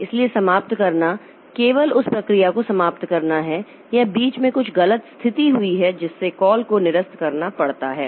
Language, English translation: Hindi, So, ending is just terminating that process or aborting is in between there is some erroneous condition that has occurred so that has to abort the call